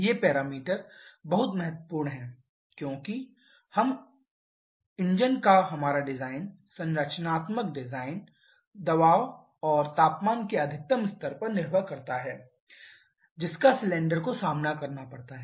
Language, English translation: Hindi, These parameters are very important because our design of the engine the structural design depends on the maximum level of pressure and temperature that we have to withstand of the cylinder has to withstand